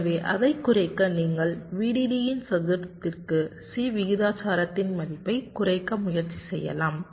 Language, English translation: Tamil, so to reduce it you can try and reduce the value of c proportional to square of v